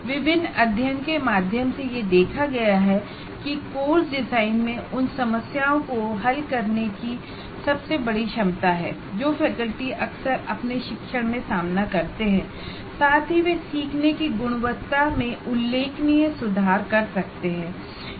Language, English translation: Hindi, And it has been observed through field surveys that course design has the greatest potential for solving the problems that faculty frequently face in their teaching and improve the quality of learning significantly